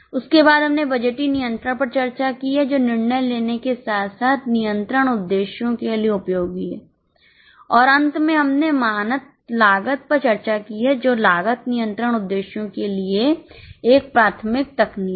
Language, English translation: Hindi, After that we have discussed the budgetary control which is useful for decision making as well as control purposes and towards the end we have discussed standard costing which is a primary technique for cost control purposes